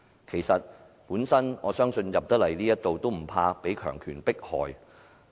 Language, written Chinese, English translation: Cantonese, 事實上，我相信能進入議會的議員也不懼怕被強權迫害。, As a matter of fact I believe Members qualified for joining the Council are all not afraid of oppression